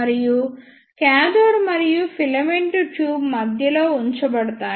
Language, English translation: Telugu, And the cathode and the filament is placed at the centre of the tube